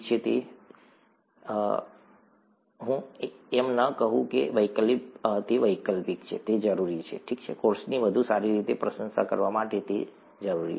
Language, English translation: Gujarati, If it is, if I do not say it is optional it is required, okay, required to appreciate the course better